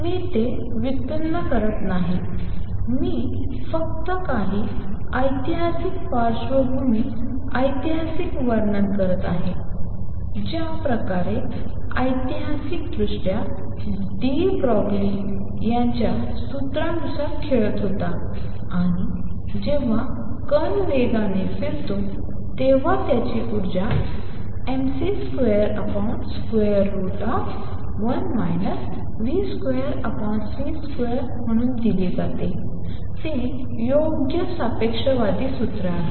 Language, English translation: Marathi, I am not deriving it I am just describing to you some historical background historical the way historically de Broglie was playing with his formulas, and when the particle moves with speed v its energy is given as mc square over square root of 1 minus v square over c square that is the correct relativistic formula